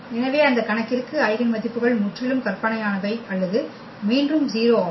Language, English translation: Tamil, So, for those cases the eigenvalues are purely imaginary or 0 again